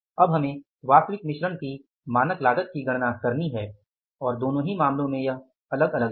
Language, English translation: Hindi, Now we have to calculate the standard cost of actual mix and in both the cases it is different